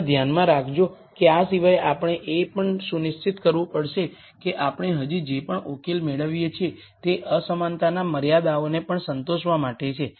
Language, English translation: Gujarati, Also keep in mind that other than this we also have to make sure that whatever solution we get still has to satisfy the 2 inequality constraints also